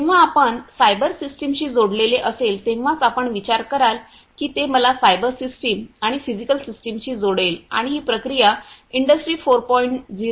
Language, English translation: Marathi, You have to think when it is connect connected with you know the cyber system then that would connect me to cyber systems and the physical system, and that essentially is very good for Industry 4